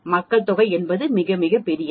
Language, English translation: Tamil, Population is something very, very big